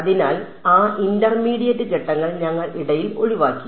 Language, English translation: Malayalam, So, those intermediate steps we have skipped in between